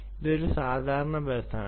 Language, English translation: Malayalam, it's a common bus